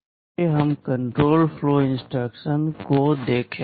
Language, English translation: Hindi, Let us look at the control flow instructions